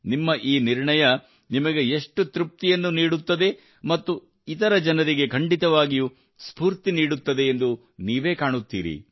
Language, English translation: Kannada, You will see, how much satisfaction your resolution will give you, and also inspire other people